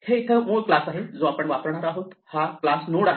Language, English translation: Marathi, Here is the basic class that we are going to use, it is a class node